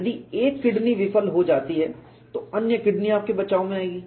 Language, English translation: Hindi, You are gifted with two kidneys, if one kidney fails other kidney will come to your rescue